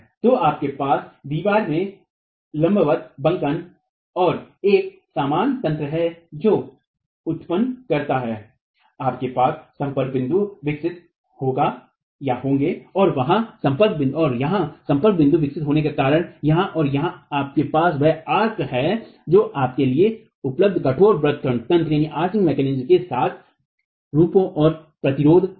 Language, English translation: Hindi, So you have a vertical bending in the wall and a similar mechanism that generates, you will have the contact points developing and because of the contact points developing here, here and here you have the arch that forms and resistance with rigid arching mechanism available for you